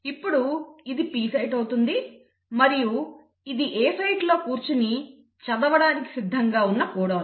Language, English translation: Telugu, This becomes the P site and now this is the codon which is now ready to be read against sitting at the A site